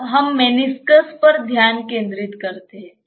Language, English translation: Hindi, Now, if you see let us concentrate or focus on the meniscus